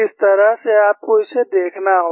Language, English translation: Hindi, That is the way you have to look at